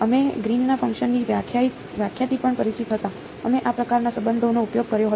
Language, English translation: Gujarati, We were also familiar with the definition of the Green’s function; we had used this kind of a relation ok